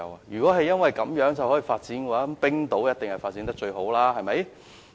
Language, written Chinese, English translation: Cantonese, 如果地利可以讓一個地方發展起來，那麼冰島一定發展得最好。, If geographical advantages could enable a place to develop then Icelands development would have been the most successful